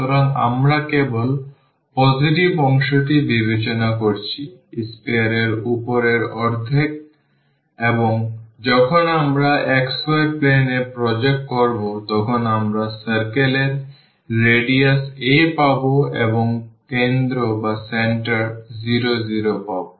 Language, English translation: Bengali, So, we are considering only the positive part; the upper half of the sphere and when we project into the xy plane we will get this circle of radius a here and the center at 0 0 ok